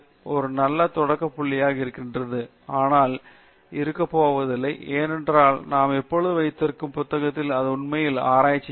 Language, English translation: Tamil, ItÕs a good starting point but itÕs not going to be, because as we always keep on it is in the book then it is not really research then